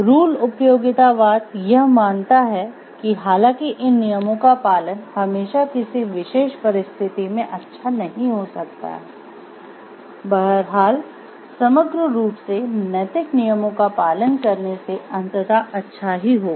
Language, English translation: Hindi, Rule utilitarianism hold that although adhering to these rules might not always maximize good in a particular situation, overall adhering to moral rules will ultimately lead to most good